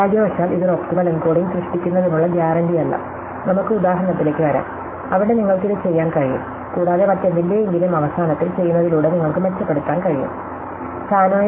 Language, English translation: Malayalam, Unfortunately, this is not guaranteed to generate an optimal encoding, you can come up with examples, where you can do this and then end of the something which you can improve by doing some other thing